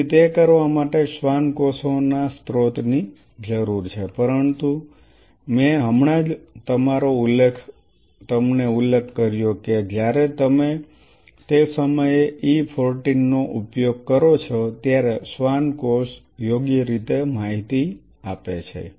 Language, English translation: Gujarati, So, in order to do that you need a source of Schwann cells, but I just now mentioned you then when you use an E 14 at that time the Schwann cell has informed properly